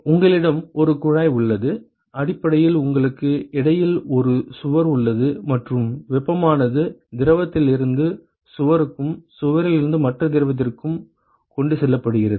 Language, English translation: Tamil, You have you have a tube, basically you have a wall in between and the heat is transported from the fluid to the wall and from wall to the other fluid